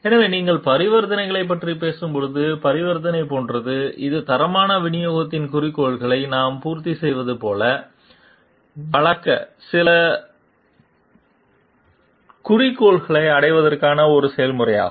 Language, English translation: Tamil, So, when you are talking of transactions; transaction is like about it is a process to meet certain objectives to render like we are to meet the objective of quality delivery